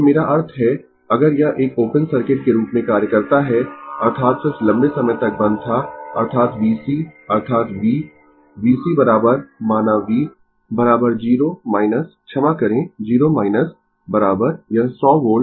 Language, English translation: Hindi, So, from the I mean if it acts as a open circuit; that means, the switch was closed for a long time; that means, your v c that is v, v c is equal to say v, right is equal to 0 minus sorry 0 minus is equal to this 100 volt right